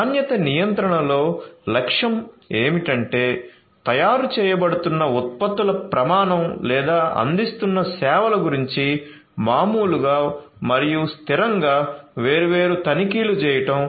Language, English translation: Telugu, So, the objective in quality control is to routinely and consistently make different checks about the standard of the products that are being manufactured or the services that are being offered